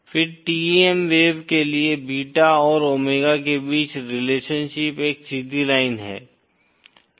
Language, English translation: Hindi, Then for TEM wave, the relationship between beta and omega is a straight line